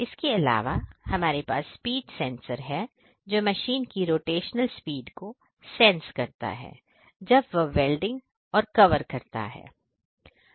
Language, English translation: Hindi, And apart from that, we have the speed sensors which senses the rotational speed of the machine doing the welding and the covers